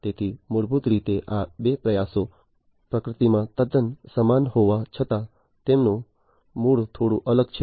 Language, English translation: Gujarati, So, basically these two efforts although are quite similar in nature their origin is bit different